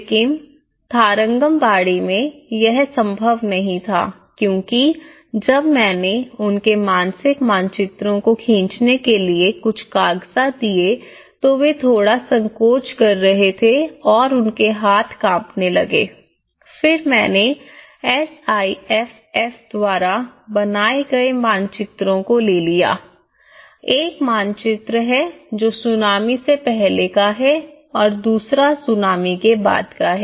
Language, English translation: Hindi, But in Tarangambadi, it was not possible because when I gave some papers to draw their mental maps, they were bit hesitant to draw the hand started shivering then what I did was I have taken the maps developed by SIFFs one is before tsunami and the second one is after tsunami